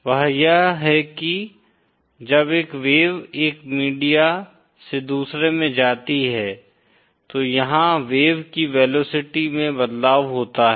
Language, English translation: Hindi, That is when a wave travels from one media to another, there is a change in the velocity of the wave